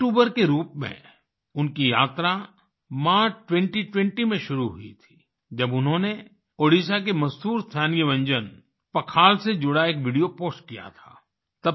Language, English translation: Hindi, His journey as a YouTuber began in March 2020 when he posted a video related to Pakhal, the famous local dish of Odisha